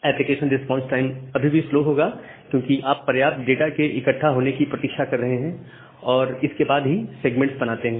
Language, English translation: Hindi, The application response time will be still little slow, because you are waiting for sufficient data to get accumulated and then only create a segment